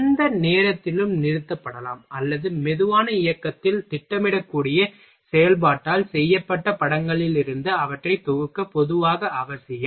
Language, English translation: Tamil, It is generally a necessary to compile them from films made of the operation which can be stopped at any point or projected in slow motion